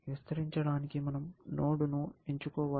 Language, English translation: Telugu, We have to pick a node to expand